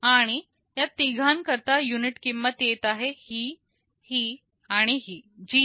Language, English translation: Marathi, And the unit costs for the three cases are coming to this, this and this